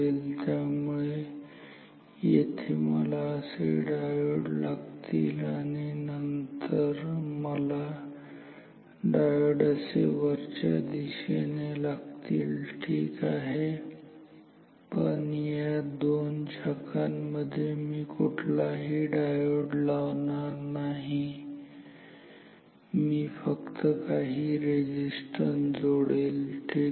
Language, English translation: Marathi, So, here I need the diode like this, then here I need the diode upwards ok, but in these two branches I will not put any diode, but I will just put some resistance ok